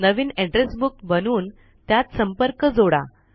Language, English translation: Marathi, Create a new Address Book and add contacts to it